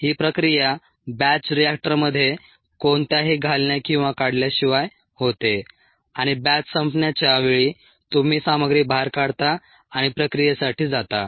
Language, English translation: Marathi, the process takes place inside the batch reactor with no addition or removal and at the end of the batch time you take the contents out and go for processing